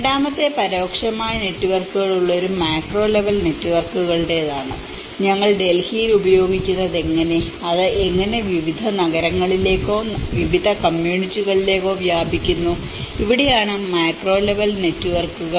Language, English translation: Malayalam, And the second one is with a macro level networks which has an indirect networks, how from what we are using in Delhi and how it is spreads to different cities or different communities across and this is where the macro level networks, it goes along with a very different indirect networks as well